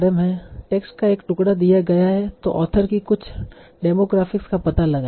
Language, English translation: Hindi, So given a piece of text, find out certain demographics about the author